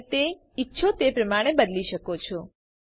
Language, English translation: Gujarati, You can change it as you want